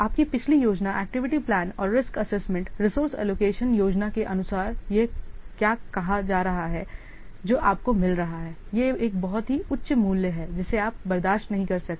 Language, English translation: Hindi, What is saying here, according to your previous plan, activity plan and risk assessment, resource allocation plan, what cost you are getting is a very high value, which cannot afford